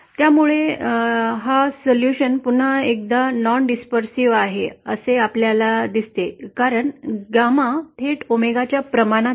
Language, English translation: Marathi, So this is again, we see the solution is non dispersive because gamma is directly proportional to omega as we had seen